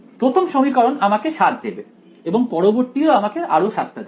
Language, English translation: Bengali, The 1st equation will give me 7 in the next will also give me another 7